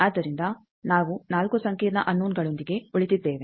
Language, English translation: Kannada, So, we are remaining with 4 complex unknowns